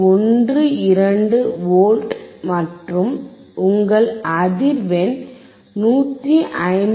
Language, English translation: Tamil, 12V, and your frequency is frequency is 159